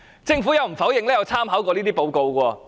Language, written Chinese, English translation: Cantonese, 政府亦無否認曾參考這份報告。, The Government has not denied that it has made reference to the Foundations report